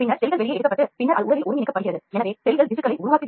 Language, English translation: Tamil, Then the cells are taken out and then it is integrated into the body so or the cells form the tissues